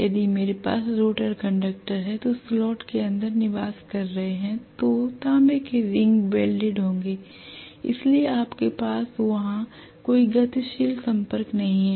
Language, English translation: Hindi, If I have the rotor conductors which are residing inside the slot the copper rings will be welded, so you do not have any moving contact any where